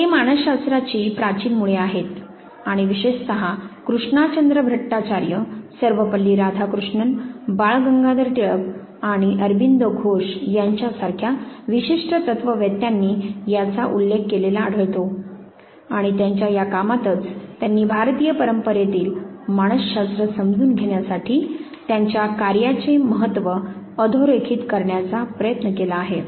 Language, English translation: Marathi, They are the ancient roots of psychology and is specifically you would find mention of certain philosophers like Krishna Chandra Bhattacharya, like Sir Palli Radhakrishnan, Bal Gangadar Tilak and Aurobindo Ghose and they have in this very work, they have tried to highlight this significance of their work in understanding psychology in the Indian tradition